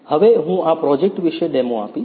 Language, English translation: Gujarati, Now, I will give the demo about this project